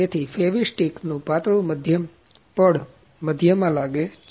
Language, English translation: Gujarati, So, a thin coat of Fevistick is applied to the centre